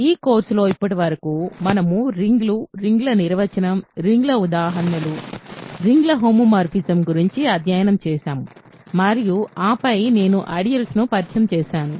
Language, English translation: Telugu, So, far in the course, we have studied rings, definition of rings, examples of rings, homomorphism of a rings and then I introduce ideals